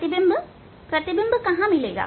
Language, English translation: Hindi, Image where will get image